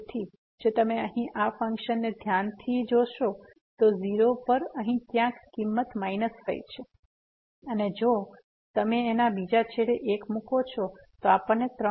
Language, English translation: Gujarati, So, if you take a close look at this function here at 0 the value is a minus 5 somewhere here and if you put this 1 there the other end then we will get 3